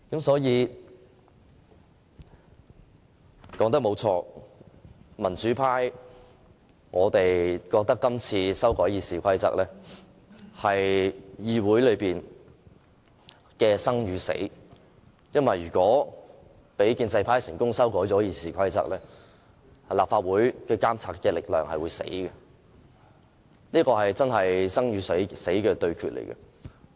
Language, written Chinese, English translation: Cantonese, 說得對，民主派覺得這次修改《議事規則》是關乎議會的生與死，因為如果讓建制派成功修改《議事規則》，立法會的監察力量便會死亡，這的確是一場生與死的對決。, It is true that the pro - democracy camp considers the amendments to RoP a matter of life and death to the Council because the monitoring power of the Legislative Council will die if RoP are successfully amended by the pro - establishment camp . This is indeed a life - and - death duel